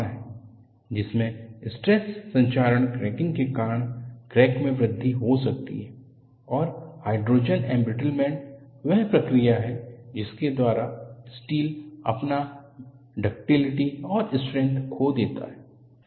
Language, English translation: Hindi, This is another possibility, by which the cracks can grow due to stress corrosion cracking, and what you find is, hydrogen embrittlement is the process by which steel looses its ductility and strength